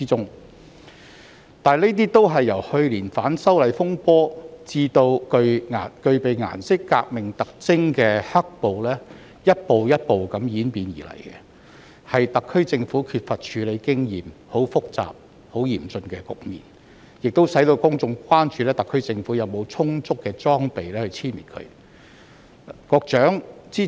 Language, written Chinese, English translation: Cantonese, 本地恐怖主義是由去年反修例風波至具備顏色革命特徵的"黑暴"逐步演變而成的，但特區政府缺乏處理複雜且嚴峻局面的經驗，所以公眾關注當局有否充足的裝備，將本地恐怖主義殲滅。, Home - grown terrorism has evolved gradually from last years disturbances arising from the opposition to the proposed legislative amendments and black violence bearing the characteristics of a colour revolution . Yet given that the SAR Government lacks the experience in handling complex and acute situation the general public is concerned whether the authorities are adequately equipped to eradicate home - grown terrorism